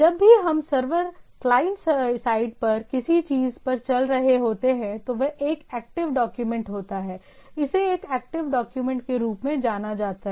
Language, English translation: Hindi, So, whenever we are running on something on the server client side is active document, it is referred as active document